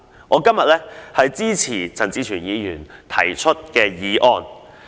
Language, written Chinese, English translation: Cantonese, 我今天支持陳志全議員的原議案。, I support Mr CHAN Chi - chuens original motion today